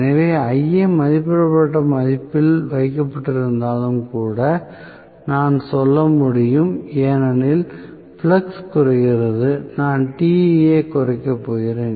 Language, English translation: Tamil, So, I can say even if Ia is kept at rated value, because flux decreases I am going to have reduction in Te